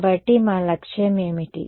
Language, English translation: Telugu, So, what is our goal